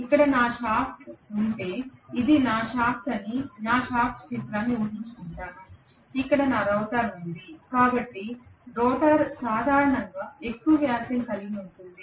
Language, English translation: Telugu, I am going to have basically if here is my shaft imagine that this is my shaft okay, in here is my rotor, rotor will be generally having a higher diameter